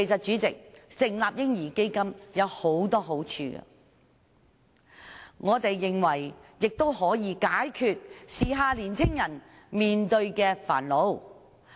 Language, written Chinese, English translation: Cantonese, 主席，成立"嬰兒基金"有很多好處，我們認為可以解決時下年青人面對的煩惱。, President the establishment of a baby fund may bring a lot of benefits which in our opinion can address the woes of young people nowadays